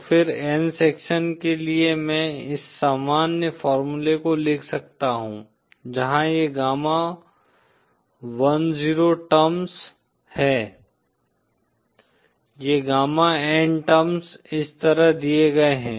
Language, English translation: Hindi, So then for n sections I can write this general formula, where these gamma10 terms are, these gamma n terms are given like this